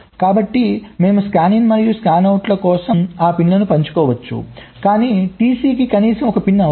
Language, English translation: Telugu, so we can share those pins for scanin and scanout, but at least one pin necessary for t c gate overhead will be ok